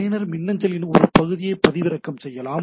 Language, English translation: Tamil, Allows user to obtain a list of their emails